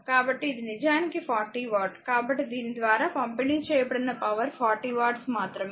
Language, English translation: Telugu, So, it is actually 40 watt; so power delivered by this only is 40 watt right